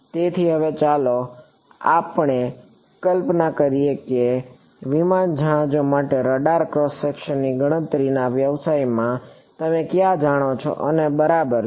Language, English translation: Gujarati, So, now, let us imagine that you know where you know in the business of calculating radar cross sections for aircraft ships and so on ok